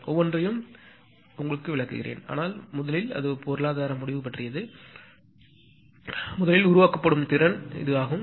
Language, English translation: Tamil, I will explain each and every thing later but first is that economic justification; first is it release generation capacity